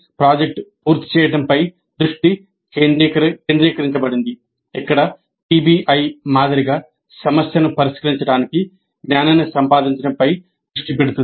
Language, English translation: Telugu, So the focus is on completion of a project whereas in PBI the focus is on acquiring knowledge to solve the problem